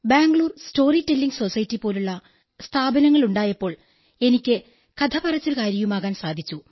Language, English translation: Malayalam, And then, there is this organization like Bangalore Storytelling Society, so I had to be a storyteller